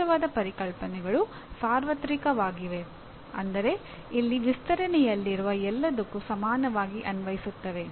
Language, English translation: Kannada, Classical concepts are universal in that they apply equally to everything in their extension